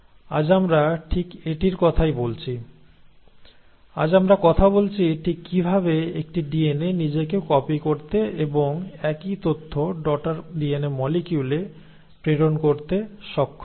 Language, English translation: Bengali, So that is what we are talking today, we are talking today exactly how a DNA is able to copy itself and pass on the same information to the daughter DNA molecule